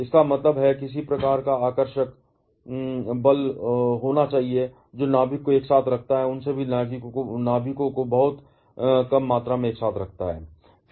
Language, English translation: Hindi, That means, there has to be some kind of attractive force, which keeps the nucleus together, keeps all those nucleons together inside very, very small volume